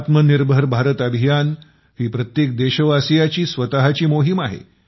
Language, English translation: Marathi, This campaign of 'Atmanirbhar Bharat' is the every countryman's own campaign